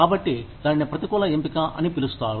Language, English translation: Telugu, So, that is called, adverse selection